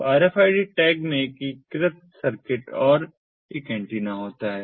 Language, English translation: Hindi, so the rfid tag consist of integrated circuit and an antenna